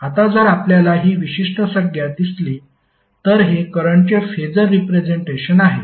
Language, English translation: Marathi, Now, if you see this particular term this is nothing but the phasor representation of current